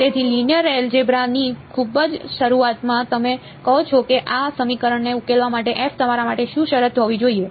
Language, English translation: Gujarati, So, very beginning of linear algebra what do you say should be a condition on f for you to be able to solve this equation